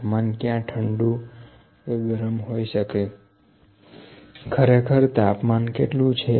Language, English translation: Gujarati, The temperature is hot cold what exactly is the temperature